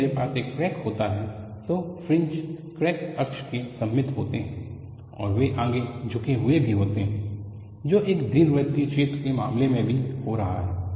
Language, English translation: Hindi, When I have a crack,I have fringes symmetrical about the crack access, and they are also forward tilted, which is also happening in the case of an elliptical hole